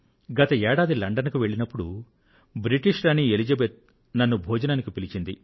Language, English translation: Telugu, During my past UK visit, in London, the Queen of Britain, Queen Elizabeth had invited me to dine with her